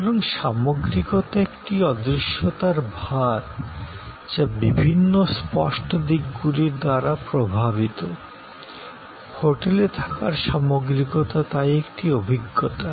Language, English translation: Bengali, So, the totality is an intangible heavy, dominated by deferent intangible aspects, the totality of the hotel stay is therefore an experience